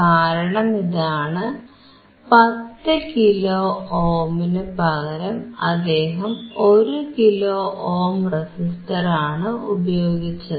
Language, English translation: Malayalam, Because instead of 10 kilo ohm, he used a resistor of one kilo ohm